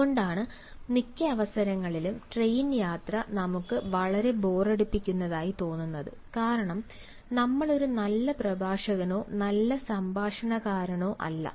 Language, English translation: Malayalam, that is why, on majority of occasions, our train journey is become, you know, very boring, because we are neither a good speaker nor a good talker, nor a good conversationalist